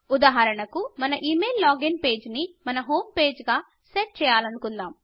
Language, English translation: Telugu, Say for example, we want to set our email login page as our home page